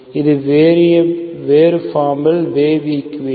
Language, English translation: Tamil, So this is a different form wave equation